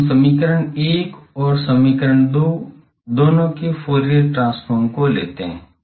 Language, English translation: Hindi, So, let us take Fourier transform of both equation 1 and equation 2